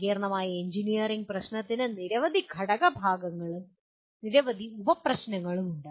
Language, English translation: Malayalam, And also a complex engineering problem has several component parts and several sub problems